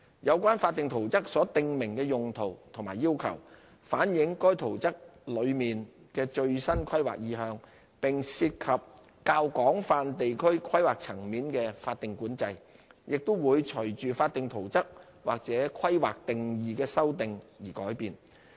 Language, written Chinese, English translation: Cantonese, 有關法定圖則所訂明的用途和要求，反映該圖則內的最新規劃意向，並涉及較廣泛地區規劃層面的法定管制，亦會隨法定圖則或規劃定義修訂而改變。, The uses and requirements stated in the statutory plans reflect the latest planning intention of the plans and the statutory planning control in broader areas and would be subject to changes in accordance with the amendment of statutory plans or planning definitions